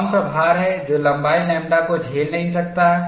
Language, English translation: Hindi, What is the load not sustained on length lambda